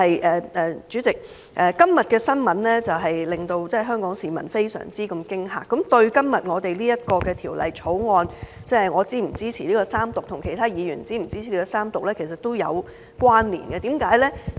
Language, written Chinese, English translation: Cantonese, 另外，主席，今天的新聞令香港市民非常震驚，亦與今天我們討論的《條例草案》，我和其他議員是否支持三讀，都有關連，為甚麼？, President the shocking news today is also relevant to the Bill under discussion today and whether I and other Members should support the Third Reading . Why do I say so?